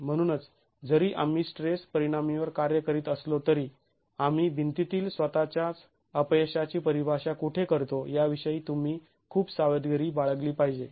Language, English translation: Marathi, So, though we are working on stress to sultans, you have to be very careful about where we are defining the failure in the wall itself